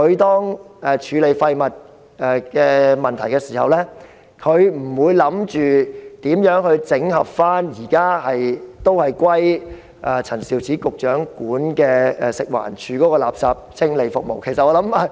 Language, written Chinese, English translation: Cantonese, 當處理廢物的問題時，環境局不會思考如何整合陳肇始局長轄下的食物環境衞生署的垃圾清理服務。, Speaking of waste handling the Environment Bureau will not give thoughts to the question of how to consolidate the waste removal services of the Food and Environmental Hygiene Department FEHD within the purview of Secretary Prof Sophia CHAN